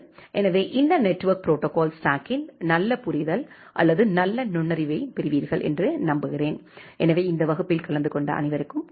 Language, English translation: Tamil, So, hopefully you will get a nice understanding or nice insight of this network protocol stack so thank you all for attending this class